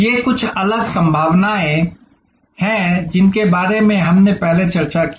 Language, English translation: Hindi, These are some different possibilities that we have discussed before